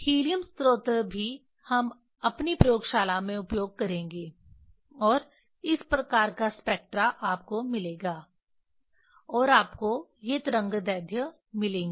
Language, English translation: Hindi, Helium source also we will use in our laboratory and this type of spectra you will get and you will get these are the wave lengths